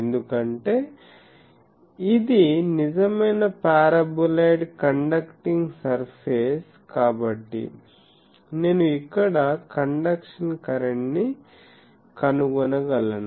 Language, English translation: Telugu, Because, this is a real paraboloid conducting surface is there so, I can find the conduction current here